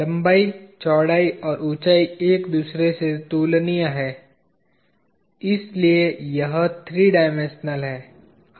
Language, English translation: Hindi, The length, breadth and height are comparable to each other, so this is the three dimensional